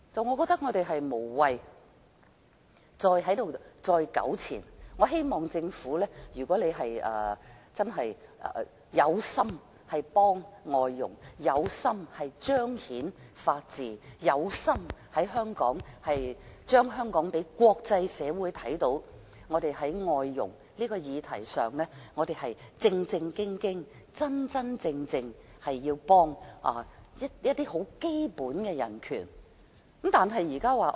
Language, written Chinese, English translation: Cantonese, 我覺得我們無謂再在此糾纏，我希望政府能真心幫助外傭，彰顯法治，讓國際社會看到香港在外傭的議題上認真提供協助，促進基本人權。, I think we need not be entangled in this argument . I hope the Government is sincere in helping foreign domestic helpers and manifesting the rule of law demonstrating to the international community that Hong Kong is serious in providing assistance to foreign domestic helpers and promoting basic human rights